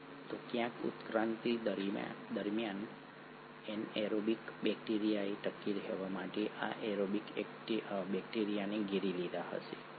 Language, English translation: Gujarati, So somewhere during the course of evolution, an anaerobic bacteria must have engulfed this aerobic bacteria to survive, right